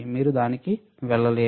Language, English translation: Telugu, We are not using it